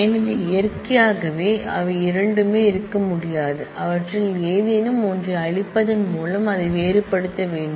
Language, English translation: Tamil, So, naturally both of them cannot be there, it will have to be made distinct by erasing any one of them